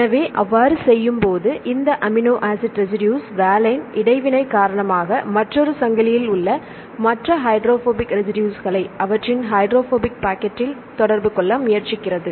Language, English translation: Tamil, So, this amino acid residue valine tries to interact with the other the hydrophobic residues in another chain right in their hydrophobic packet because of this interaction